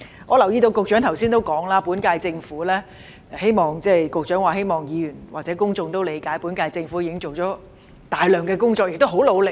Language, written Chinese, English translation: Cantonese, 我留意到局長剛才也提到，希望議員或公眾也理解本屆政府已做了大量工作，亦很努力。, I notice that the Secretary has also mentioned earlier he hoped Members or the public would understand that the current - term Government has done a lot of work and has worked very hard